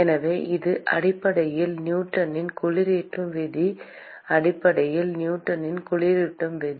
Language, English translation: Tamil, So, this is essentially Newton’s law of cooling essentially Newton’s law of cooling